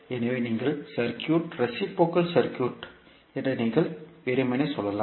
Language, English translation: Tamil, So, you can simply say that this particular circuit is reciprocal circuit